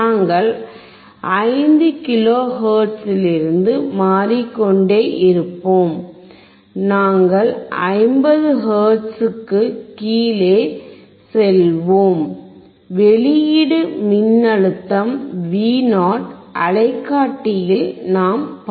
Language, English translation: Tamil, We will keep on changing from 5 kilo hertz we will go down to 50 hertz, and we will see the output voltage Vo in the oscilloscope